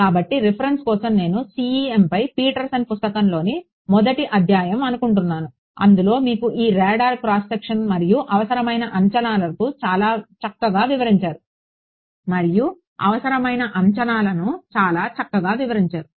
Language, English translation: Telugu, So, for reference I think chapter 1 of Petersons book on CEM, he gives you this radar cross section and the approximations required quite nicely